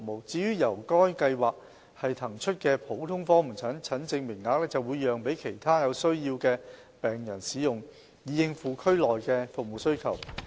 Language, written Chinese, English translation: Cantonese, 至於由該計劃騰出的普通科門診診症名額，會讓給其他有需要的病人使用，以應付區內的服務需求。, The general outpatient consultation places released under this Programme will be given to other patients in need so as to meet the service needs in the districts